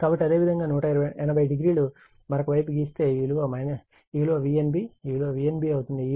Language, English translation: Telugu, So, if you make 180 degree other side, this is my V n b, this is my V n b